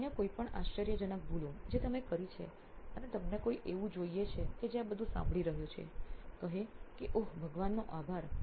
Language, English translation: Gujarati, Any other startling mistakes that you made and you want somebody who is listening to all this say oh thank god